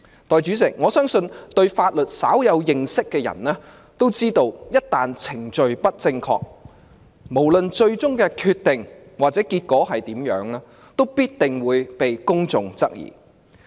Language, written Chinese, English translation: Cantonese, 代理主席，我相信對法律稍有認識的人也知道，一旦程序不正確，無論最終的決定或結果如何，也必定會被公眾質疑。, Deputy President I believe people who have small knowledge of the law should know that improper procedures will definitely be subject to public suspicion no matter what the final decision or outcome of an incident is